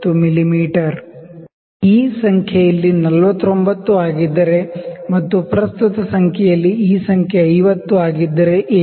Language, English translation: Kannada, What if this number is 49 here and this number is 50 here in the present scale